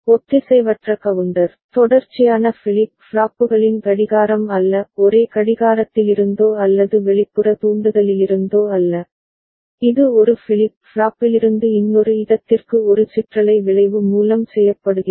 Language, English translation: Tamil, Asynchronous counter, the clocking of consecutive flip flops are not by not from the same clock or the external trigger, it is done through a rippling effect from one flip flop to another